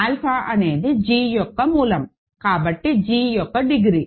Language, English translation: Telugu, Alpha is a root of g; so degree of g